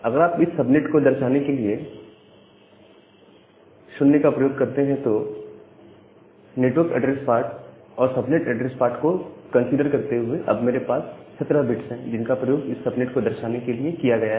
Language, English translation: Hindi, Now, if you use this 0 to denote this subnet, now considering the network address part and the subnet part, I have 17 bit, which is being used for denoting this subnet